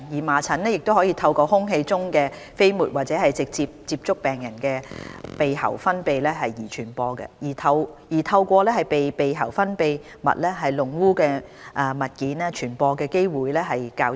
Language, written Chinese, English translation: Cantonese, 麻疹可透過空氣中的飛沫或直接接觸病人的鼻喉分泌物而傳播，而透過被鼻喉分泌物弄污的物件傳播的機會則較低。, It can be transmitted by airborne droplet spread or direct contact with nasal or throat secretions of infected people and less commonly by articles soiled with nasal or throat secretions